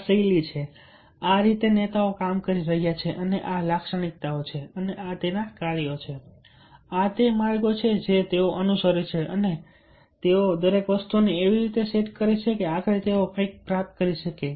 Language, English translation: Gujarati, so this is the style, this is the ah way these kind of leaders are working and these are the characteristics, these are the tasks, these are the ways they follow and they set everything in such a manner that ultimately, they are able to achieve something, achieve the goal, and they are successful